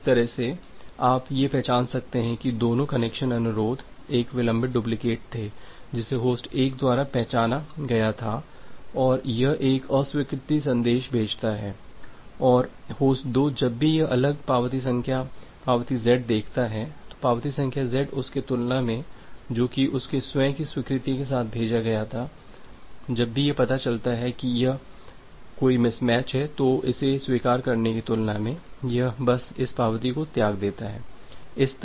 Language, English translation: Hindi, So, with this way you can identify that both the connection request was a delayed duplicate that was identified by host 1 and it sends a reject message and host 2 whenever it looks a different acknowledgement number, acknowledgement z acknowledgement number z compare to the one which it has sent with its own acknowledgement whenever it finds out that there is a mismatch here; there is a mismatch here it simply discard this acknowledgement